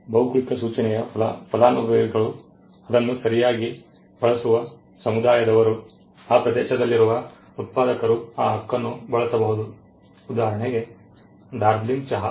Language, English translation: Kannada, The beneficiary of a geographical indication does of the people are the community which uses it is right, the producers from that place the other they are the people who can use that Right for instance Darjeeling tea